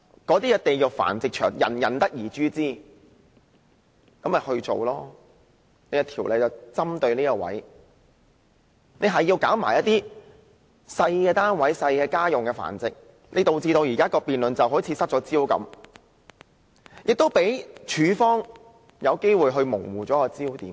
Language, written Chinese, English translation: Cantonese, 對於"地獄繁殖場"，人人得而誅之，政府本應針對此方面訂定法例，但現在卻針對小單位的住家繁殖，導致現在的辯論好像失去了焦點，亦讓署方有機會模糊了焦點。, Hellish breeding facilities are universally condemned . The Government is supposed to legislate against them and yet it is currently targeting home breeding in small premises thus putting the present debate kind of out of focus and giving the department a chance to blur the focus